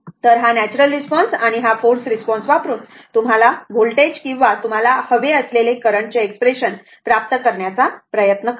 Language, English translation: Marathi, So, using this natural response and forced response, so we will try to obtain the your what you call expression of the your voltage or current whatever you want